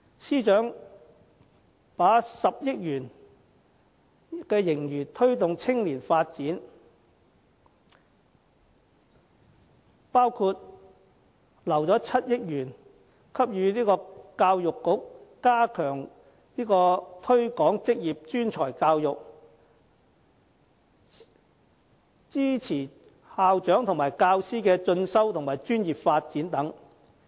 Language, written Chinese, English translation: Cantonese, 司長把10億元盈餘用於推動青年發展，包括預留7億元予教育局加強推廣職業專才教育，支持校長和教師的進修和專業發展等。, The Financial Secretary proposes to deploy 1 billion of the surplus for youth development including the provision of 700 million for the Education Bureau to strengthen its efforts in promoting vocational and professional education and training facilitating the training and professional development of principals and teachers etc